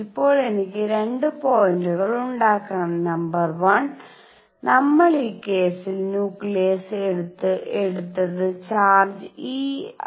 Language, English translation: Malayalam, Now I just want to make 2 points; number 1; we took nucleus in this case to have charge e